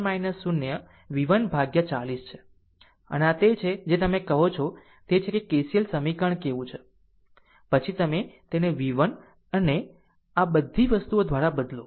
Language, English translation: Gujarati, So, this is your what you call this is your ah ah ah what to call KCL equation, then you replace it by v 1 and all these things